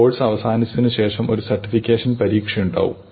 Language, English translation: Malayalam, After the course ends, there will be a certification exam